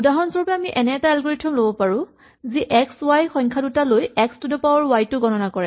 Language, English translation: Assamese, For instance, we could have an algorithm which takes two numbers x and y, and computes x to the power y